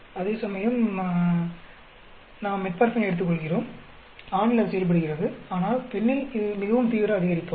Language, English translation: Tamil, Whereas, we take Metformin, male it performs, but in female, it is a very drastic increase